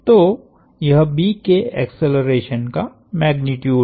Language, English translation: Hindi, So, that is the magnitude of acceleration of B